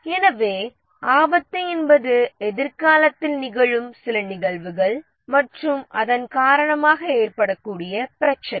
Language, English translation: Tamil, So, the risk is some event that may arise the problem that may arise because of that